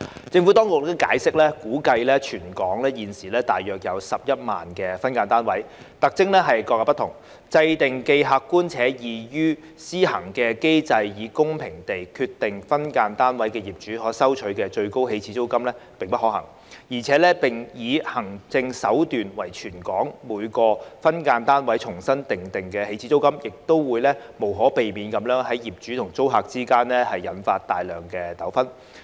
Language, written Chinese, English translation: Cantonese, 政府當局解釋，估計全港現時有大約11萬個分間單位，特徵各有不同，制訂既客觀且易於施行的機制以公平地決定分間單位業主可收取的最高起始租金並不可行，而且以行政手段為全港每個分間單位重新訂定起始租金，亦會無可避免地在業主與租客之間引發大量糾紛。, The Administration has explained that given the individual characteristics of each of the some 110 000 SDUs estimated to exist in Hong Kong it is infeasible to formulate an objective and administratively easy mechanism for the purpose of fairly determining the maximum initial rent SDU landlords may charge in respect of each of them . Furthermore using administrative means to reset the initial rent of each and every SDU in Hong Kong would also inevitably create numerous disputes between the landlords and the tenants